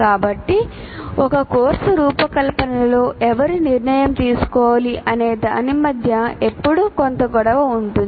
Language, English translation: Telugu, So there is always a bit of tussle between who should be the final decision maker in designing a course